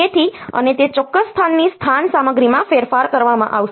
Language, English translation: Gujarati, So, and the location content of that particular location will get modified